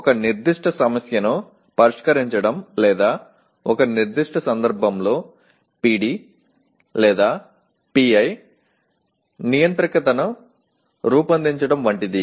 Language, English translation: Telugu, Like solving a specific problem or designing a PD or PI controller in a specific context